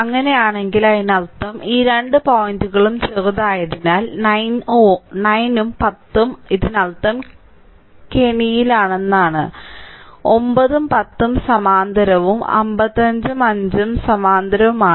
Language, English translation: Malayalam, So, if it is so; that means, as these two point are shorted, so 9 and 10 I mean this we have trap together; 9 and 10 are in parallel and 55 and 5 are in parallel